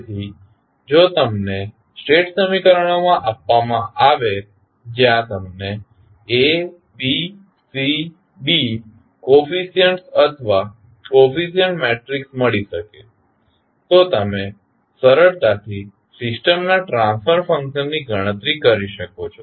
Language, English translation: Gujarati, So, if you are given the state equations where you can find out the A, B, C, D coefficients or the coefficient matrices you can simply calculate the transfer function of the system